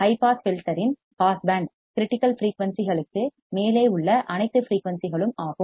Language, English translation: Tamil, The passband of a high pass filter is all frequencies above critical frequencies